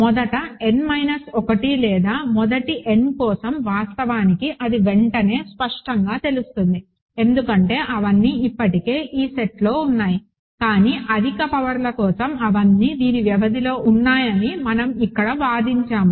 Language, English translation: Telugu, For the first n minus 1 or first n actually there is it is immediately clear, because they are all already in this set, but for higher powers we argued here that they are all in the span of this